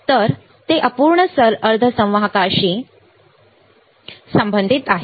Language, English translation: Marathi, So, it is related to imperfection semiconductor